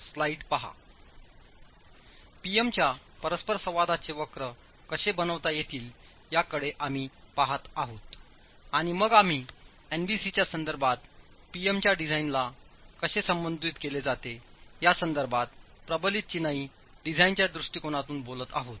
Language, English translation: Marathi, We've been looking at how PM interaction curves can be made and then we've been talking about within the approach to reinforce masonry design with respect to NBC, how the PM design is addressed